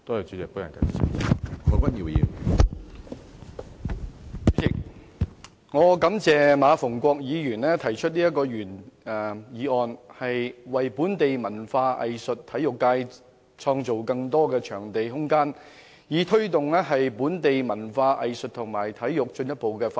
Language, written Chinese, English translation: Cantonese, 主席，感謝馬逢國議員提出這項原議案，為本地文化藝術及體育界開拓更多場地、創造更多空間，以推動本地文化藝術及體育進一步的發展。, President I thank Mr MA Fung - kwok for proposing this original motion which aims to develop venues and create room for the promotion of the further development of local culture arts and sports